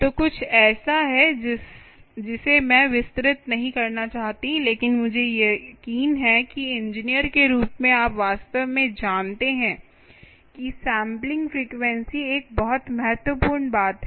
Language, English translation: Hindi, so this is something i don't want to elaborate, but i am sure, as engineers, you actually know that sampling frequency is a very, very ah critical thing